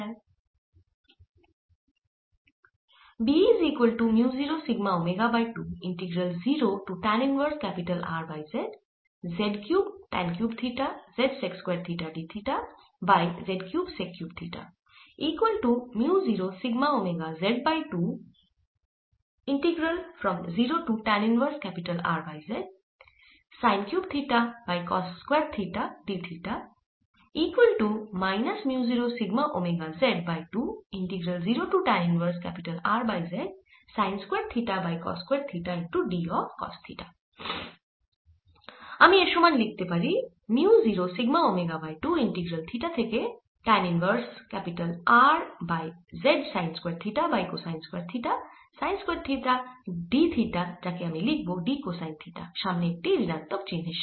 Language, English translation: Bengali, integral zero to tan inverse r over z sine square theta over cosine square theta, sine theta d theta, which i'll write as d of cosine theta with the minus sign in front